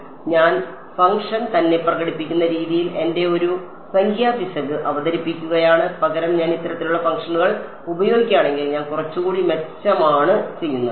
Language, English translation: Malayalam, So, I am introducing a numerical error into my in the way I am expressing the function itself; Instead if I use these kind of functions I am doing a little bit better